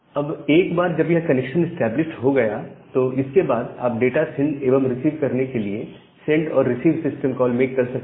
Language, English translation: Hindi, Now, once this connection is established, then you can make this send and receive call to send the data and receive the data